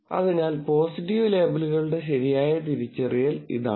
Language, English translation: Malayalam, So, this is correct identification of positive labels